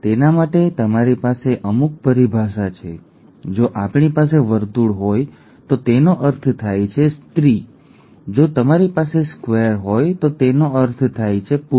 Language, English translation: Gujarati, For that you have a certain terminology, if we have a circle it means a female, if you have a square it means a male